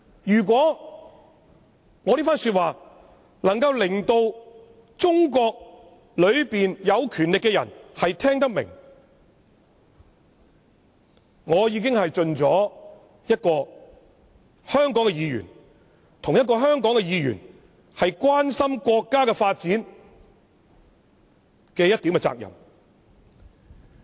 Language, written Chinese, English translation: Cantonese, 如果我這番說話，能夠令中國有權力的人聽得明白，我已經盡了我作為香港議員關心國家發展的一點責任。, If those in power in China understand my arguments I have already fulfilled my obligation as a legislator in Hong Kong who cares about the development of our country